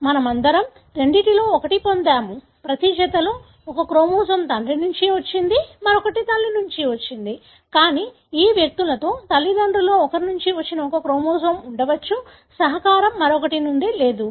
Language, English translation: Telugu, All of us has got one of the two, in each pair one chromosome come from father, the other one has come from mother, but in these individuals may be there could be one chromosome which has come from only one of the parents, the contribution from the other is missing